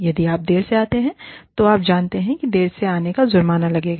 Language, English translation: Hindi, If you come late, you will, you know, there will be a penalty, for coming in late